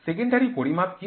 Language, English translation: Bengali, What is secondary measurement